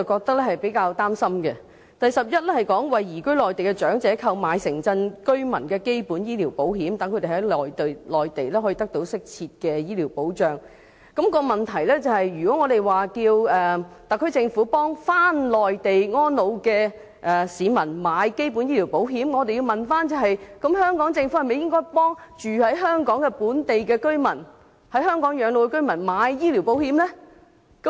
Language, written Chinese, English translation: Cantonese, 第項是"為移居內地的長者購買城鎮居民基本醫療保險，讓他們在內地得到適切的醫療保障"，而問題就是如果我們要求特區政府為回內地安老的市民購買基本醫療保險，那麼政府是否應要為居於香港的本地居民和在港養老的居民購買醫療保險呢？, For item 11 it is to take out Urban Resident Basic Medical Insurance for elderly persons who have moved to the Mainland so that they can receive appropriate health care protection on the Mainland . The problem is that if we ask the SAR Government to take out Urban Resident Basic Medical Insurance for elderly persons who have moved to the Mainland should the Government take out medical insurance for local residents living in Hong Kong and residents retiring in Hong Kong?